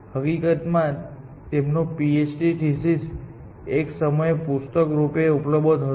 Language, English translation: Gujarati, In fact, his PHD thesis is also available as a book at some point of time